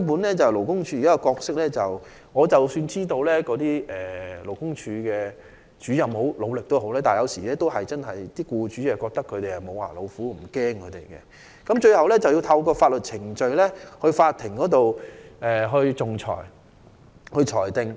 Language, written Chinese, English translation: Cantonese, 關於勞工處的角色，即使我知道勞工處的主任很努力工作，但僱主有時候認為他們是"無牙老虎"，不會感到害怕，最後需透過法律程序，在法庭上進行仲裁。, Speaking of LDs roles I know that LD officers have worked very hard but employers sometimes consider them to be toothless tigers and therefore have no fear for them . In the end the case can only be handled through the legal proceedings of court arbitration